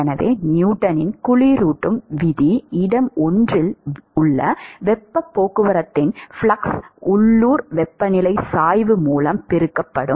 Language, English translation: Tamil, So, Newton’s law of cooling will tell you that the flux of heat transport at location 1 would be given by heat transport coefficient multiplied by the local temperature gradient